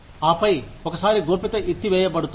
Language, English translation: Telugu, And then, once the secrecy is lifted